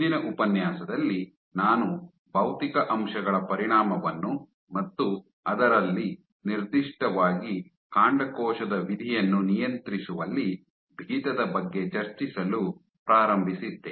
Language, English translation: Kannada, So, in the last lecture, I started discussing the effect of physical factors and among this specifically stiffness in regulating stem cell fat